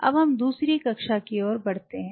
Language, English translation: Hindi, So, we are going to the second class